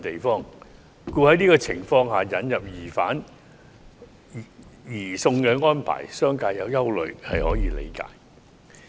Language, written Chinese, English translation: Cantonese, 因此，在這情況下引入移交疑犯的安排，商界存有憂慮也是可以理解的。, It is thus understandable that the business sector is concerned about the introduction of arrangements for the surrender of fugitive offenders under such circumstances